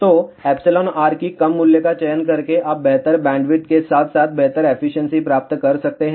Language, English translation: Hindi, So, by choosing lower value of epsilon r you can get better bandwidth as well as better efficiency